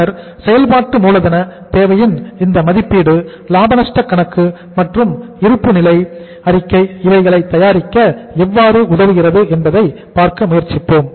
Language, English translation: Tamil, And then we will try to see that how this assessment of working capital requirement helps us to prepare the profit and loss account and balance sheet and that we will do in the next class